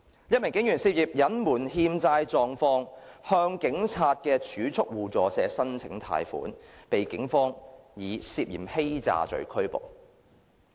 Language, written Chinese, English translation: Cantonese, 一名警員涉嫌隱瞞欠債狀況，向警察儲蓄互助社申請貸款，被警方以涉嫌欺詐罪拘捕。, Another police officer was suspected of concealing his debt situation when applying for a loan from the Hong Kong Police Credit Union . He was arrested by the Police on the ground of alleged fraud